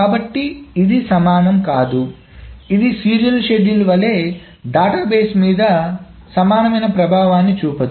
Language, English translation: Telugu, This will not have the same effect on the database as the serial schedule